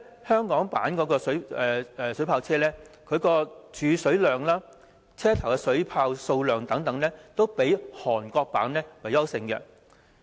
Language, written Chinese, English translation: Cantonese, 香港的水炮車無論儲水量、車頭的水炮數量等方面，均較韓國的強。, Irrespective of the water storage capacity and the number of water cannons carried in the front the water cannon vehicles used in Hong Kong are more superior to those in Korea